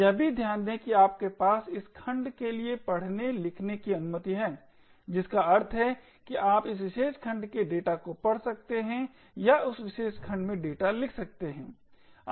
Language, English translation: Hindi, Also notice that you have read write permission for this segment which means that you could read the data from that particular segment or write data to that particular segment